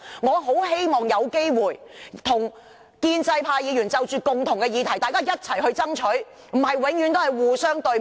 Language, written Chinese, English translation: Cantonese, 我很希望有機會與建制派議員就着一些共同關注的議題，一起去爭取，而非只是互相對罵。, I very much hope that we can work with pro - establishment Members to strive for matters of mutual concern rather than always criticizing each other